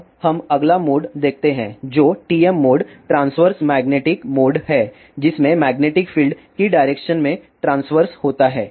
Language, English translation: Hindi, Now, let us see the next mode this is TM mode transverse magnetic mode in which magnetic field is transverse to the direction of propagation and there is no magnetic field in the direction of propagation